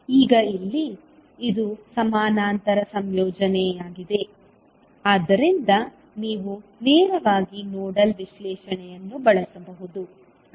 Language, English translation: Kannada, Now here, it is a parallel combination so you can straightaway utilize the nodal analysis